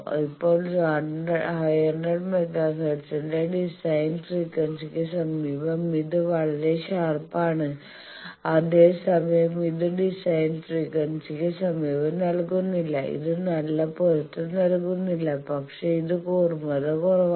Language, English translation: Malayalam, Now near the design frequency of 500 mega hertz it is giving a very sharp whereas, this is not giving near design frequency it is not giving match very good match but it is less sharp